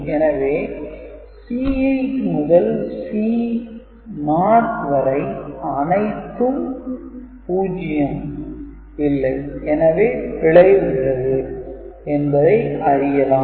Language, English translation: Tamil, So, this again because of C 8 to C 1 is not all 0, so a error is detected, error is detected, ok